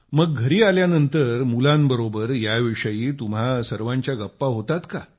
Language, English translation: Marathi, So, do you come home and tell your children about that